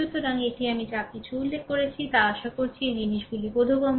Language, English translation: Bengali, So, this whatever I have mentioned I hope this things are understandable to you know